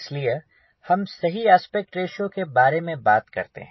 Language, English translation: Hindi, we are talking about aspect ratio